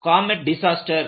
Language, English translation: Tamil, This is a comet disaster